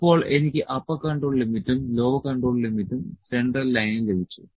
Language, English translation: Malayalam, Now I have got upper control limit, lower control limit and central line